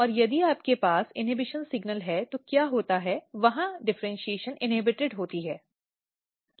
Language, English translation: Hindi, This and here if you have inhibition signal, there the differentiation is inhibited here